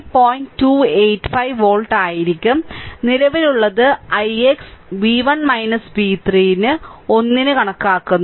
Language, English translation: Malayalam, 285 volt and ah current now you calculate i x v 1 minus v 3 upon 1